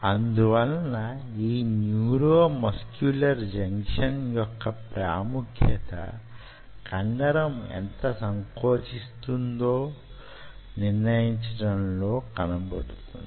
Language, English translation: Telugu, so the significance of neuromuscular junction lies in the fact that neuromuscular junction decides how much this muscle will contract